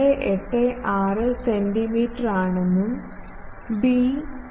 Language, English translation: Malayalam, 286 centimeter and it is b is 0